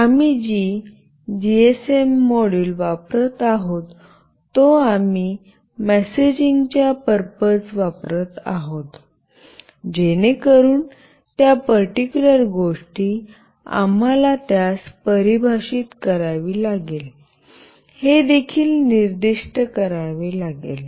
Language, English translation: Marathi, We have to also specify that the GSM module that we are using, we will be using it for messaging purpose, so that particular thing we have to define it